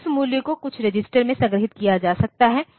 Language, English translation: Hindi, So, that value may be stored in some register